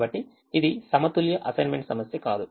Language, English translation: Telugu, so this is not a balance assignment problem